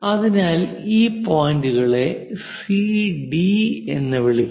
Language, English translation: Malayalam, So, let us call points these as C and D; join these points C and D